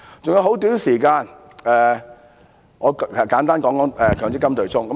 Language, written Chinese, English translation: Cantonese, 餘下很短時間，我簡單談談強制性公積金對沖。, With only little time left I will briefly talk about the offsetting arrangement of the Mandatory Provident Fund MPF